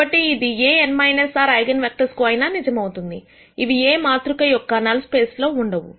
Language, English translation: Telugu, So, this could be true for any of the n minus r eigenvectors; which are not in the null space of this matrix A